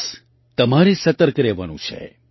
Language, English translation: Gujarati, You just have to be alert